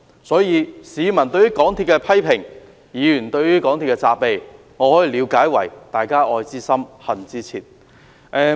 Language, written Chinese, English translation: Cantonese, 所以，市民對於港鐵公司的批評、議員對於港鐵公司的責備，我可以了解為"愛之深、恨之切"。, I will thus interpret the criticisms of the public and of Members against MTRCL as an expression of their love for the railway